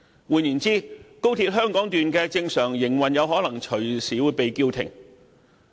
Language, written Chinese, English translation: Cantonese, 換言之，高鐵香港段的正常營運可能隨時被叫停。, In other words the normal operation of XRL could screech to a halt at any time